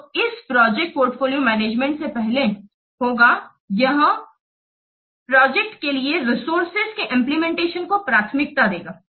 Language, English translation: Hindi, So, it will prior this project portfolio management, it will prioritize the allocation of resources to projects